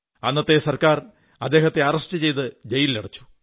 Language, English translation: Malayalam, The government of that time arrested and incarcerated him